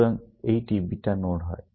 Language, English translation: Bengali, So, these are beta nodes